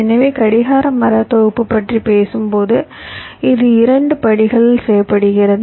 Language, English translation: Tamil, so when we talk about clock tree synthesis, so it is performed in two steps